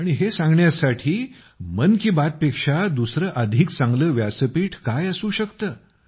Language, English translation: Marathi, And what could be better than 'Mann Ki Baat' to convey this